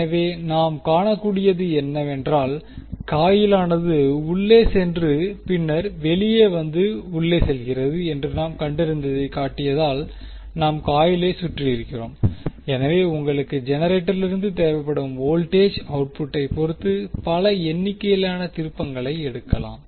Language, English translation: Tamil, So, what we can see, we, we have wound as I shown that we have found in such a way that the coil goes inside and then comes out and goes inside and so, so, you can take multiple number of turns based on the voltage output which you want from the generator